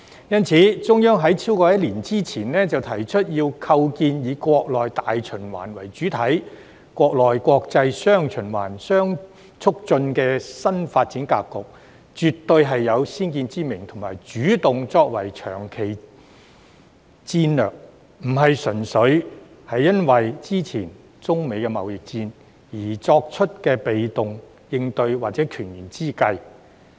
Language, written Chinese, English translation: Cantonese, 因此，在超過一年之前，中央提出要構建"以國內大循環為主體、國內國際'雙循環'相互促進"的新發展格局，絕對是有先見之明的主動作為及長期戰略，並非純粹因應之前中美貿易戰而作出的被動應對或權宜之計。, Therefore it is absolutely visionary for the Central Authorities to take proactive act and formulate long - term strategy more than a year ago to establish a new development pattern featuring domestic and international dual circulation which takes the domestic market as the mainstay while enabling domestic and foreign markets to interact positively with each other . This is in no way a passive expedient measure or compromise made simply in response to the previous trade war between China and US